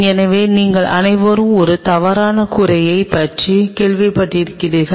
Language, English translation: Tamil, So, you all have heard about a false roof it is something like